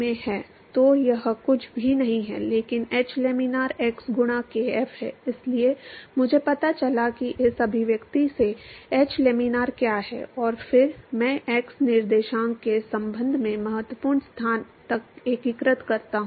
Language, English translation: Hindi, So, I have found out what is h laminar from this expression, and then I integrate with respect to the x coordinates, up to the critical location